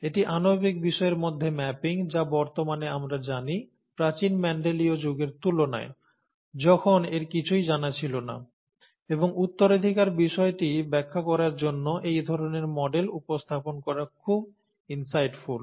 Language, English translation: Bengali, This is the mapping between a molecular aspect that we know of nowadays to the olden times, the Mendelian times, when nothing of this was known, and it is very insightful to come up with this kind of a model to explain inheritance